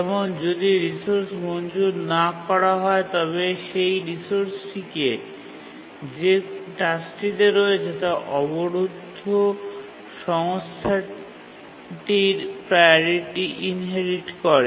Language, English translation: Bengali, If a task is made to block, it's not granted the resource, then the task holding that resource inherits the priority of the blocked resource